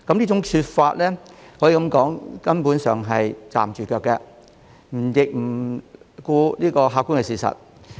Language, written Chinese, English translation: Cantonese, 這些說法可說是站不住腳，亦不顧客觀事實。, These remarks can be said to be groundless without regard to objective facts